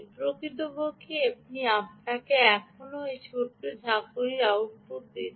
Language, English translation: Bengali, ah, in fact, it is still giving you this little jagged output